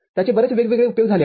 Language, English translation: Marathi, It has got many different uses